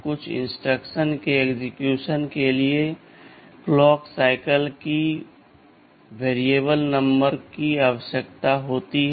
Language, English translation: Hindi, : Certain instructions require variable number of clock cycles for execution